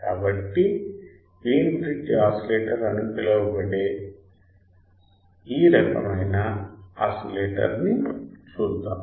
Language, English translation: Telugu, So, let us see that kind of oscillator that is called Wein bridge oscillator